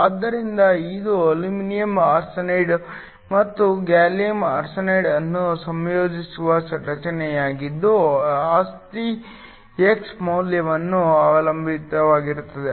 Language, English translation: Kannada, So, This is a structure that is formed by combining aluminum arsenide and gallium arsenide and the property depends upon the value of x